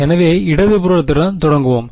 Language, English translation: Tamil, So, let us start with the left hand side